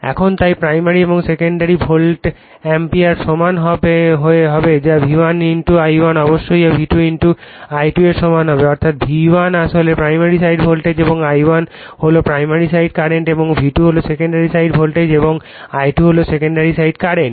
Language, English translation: Bengali, Now, hence the primary and secondary volt amperes will be equal that is V1 * I1 must be equal to V2 * I2 , that is V1 actually is your primary side voltage and I1 is the primary side current and V2 is a secondary side voltage and I2 is the secondary side current